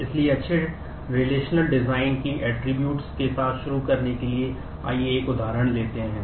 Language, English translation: Hindi, So, to start with the features of good relational design, let us take an example